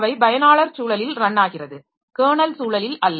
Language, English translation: Tamil, Run in user context and not kernel context